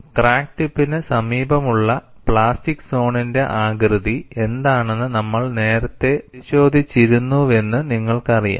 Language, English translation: Malayalam, You know, we had earlier looked at what is the shape of the plastic zone near the vicinity of the crack tip, we had seen a finite shape in front of the crack tip